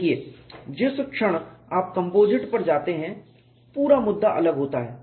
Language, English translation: Hindi, See the moment you go to composites, the whole issue is different